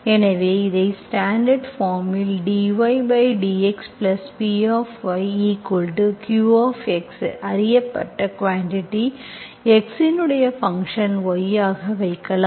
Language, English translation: Tamil, So you can put it in the standard form as dy by dx plus some px, known quantity, function of x into y